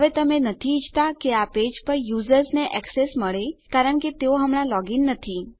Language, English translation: Gujarati, Now you dont want the users to get access to this page because they are not logged in right now